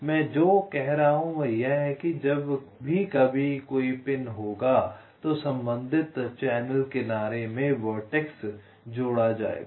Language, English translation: Hindi, what i am saying is that whenever there is a pin, there will be ah vertex added in the corresponding channel edge